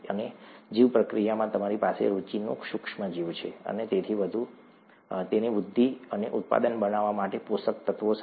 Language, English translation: Gujarati, And, in the bioreactor, you have the micro organism of interest, along with the nutrients for it to grow and make the product